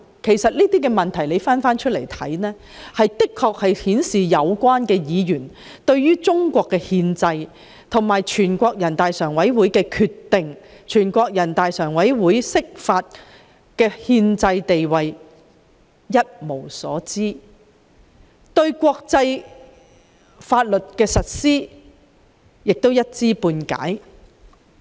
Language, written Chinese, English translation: Cantonese, 回頭看這種種質疑，其實是顯示了有關議員對中國憲制，以至全國人大常委會作出決定及釋法的憲制地位一無所知，而他們對國際法律的實施亦是一知半解。, With hindsight all these queries can only reveal that the Members concerned know nothing about the Constitution of the Peoples Republic of China as well as the constitutional status of NPCSCs decisions and interpretations and they also have only superficial knowledge of the implementation of international law